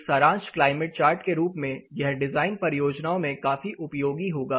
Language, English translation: Hindi, So, as a summary climate chart this will be really helpful for design projects